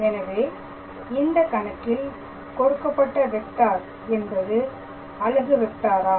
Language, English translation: Tamil, So, here in this case we have the given vector, but is it a unit vector